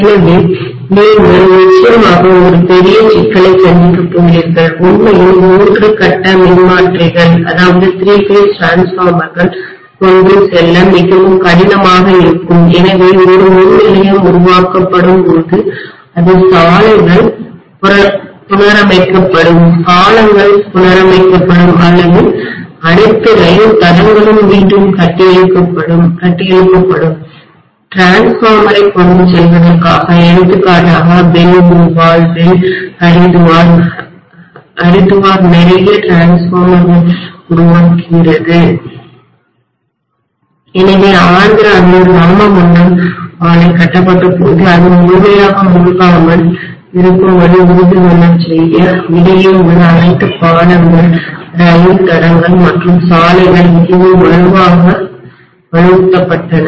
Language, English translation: Tamil, So you are essentially going to have a big problem in fact three phase transformers are very very difficult to transport, so whenever a power station is made their rebuild the roads, rebuild the bridges, rebuild all the railway tracks to transport the transformer from, for example BHEL Bhopal, BHEL Haridwar, Haridwar makes lots of transformers, so when Ramagundam plant was constructed in Andhra Pradesh all those in between bridges, railway tracks and the roads were reinforced very strongly to make sure that it does not sink in completely